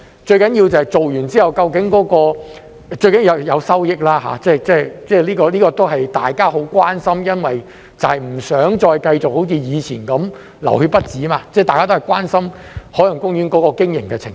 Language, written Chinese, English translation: Cantonese, 最重要的是做完之後，最重要的是有收益，這個都是大家很關心的，因為不想再繼續好像以前那樣"流血不止"，大家都關心海洋公園的經營情況。, Most importantly the work done should bring forth revenue . This is the common concern of Members for we do not want to see OP keep bleeding financially as it did in the past . We are concerned about the operation of OP